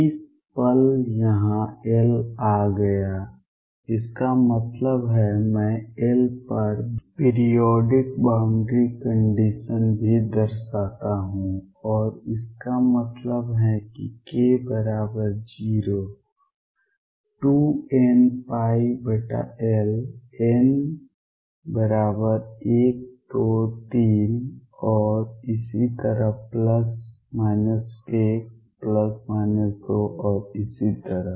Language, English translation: Hindi, The moment arrived this L here; that means, I also imply periodic boundary condition over L and this means k equals 0 2 n pi over L n equals 1 2 3 and so on plus minus 1 plus minus 2 and so on